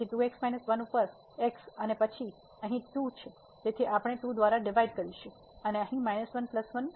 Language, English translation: Gujarati, So, over 2 minus 1 and then again here the 2 so, we can divided by 2 and here minus 1 plus 1